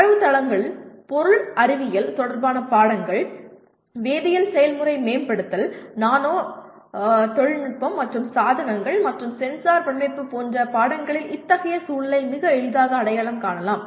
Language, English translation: Tamil, Such context can more readily be identified in subjects like databases, material science related subjects, chemical process optimization, nano technology and devices and sensor design